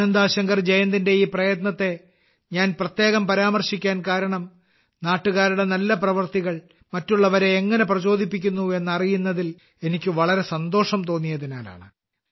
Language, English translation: Malayalam, I specifically mentioned this effort of Ananda Shankar Jayant because I felt very happy to see how the good deeds of the countrymen are inspiring others too